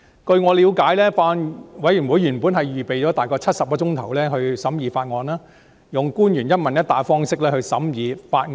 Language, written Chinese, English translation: Cantonese, 據我了解，法案委員會原本預備了大概70小時讓官員和議員用"一問一答"的方式詳細審議法案。, To my understanding the Bills Committee originally set aside approximately 70 hours for officials and Members to scrutinize the Bill in a question - and - answer format